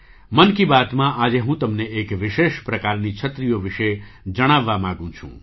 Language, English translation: Gujarati, Today in ‘Mann Ki Baat’, I want to tell you about a special kind of umbrella